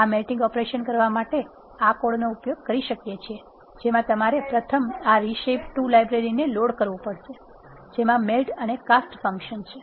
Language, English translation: Gujarati, To do this melting operation, we can use this code you first have to load this library reshape 2 which contains this functions melt and cast